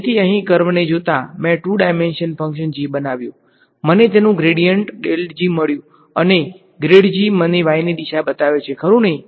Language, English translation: Gujarati, So, given the curve over here, I constructed a two dimensional function g; I found out its gradient grad g and this grad g gives me the direction of n right